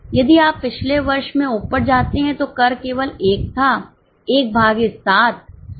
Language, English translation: Hindi, 14 if you go up in the last year their tax was only 1 so 1 on 7 so it is 0